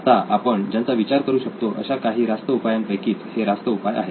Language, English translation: Marathi, So these are some viable solutions we can think of right now